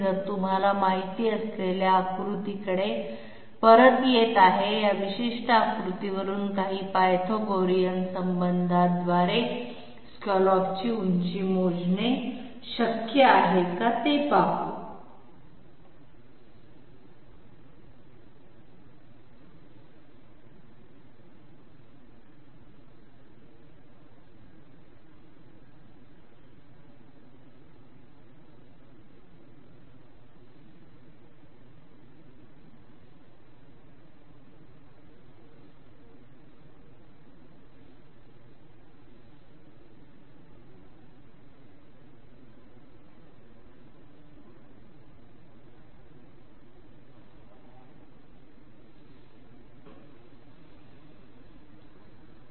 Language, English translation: Marathi, So coming back to the you know figure, this from this particular figure it is possible to calculate the scallop height by a few Pythagorean relationships let s see that